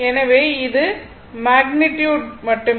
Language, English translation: Tamil, So, it is magnitude only